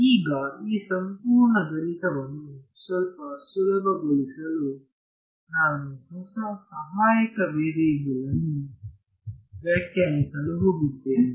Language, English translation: Kannada, Now, to make this whole math a little bit easier, I am going to define a new auxiliary variable ok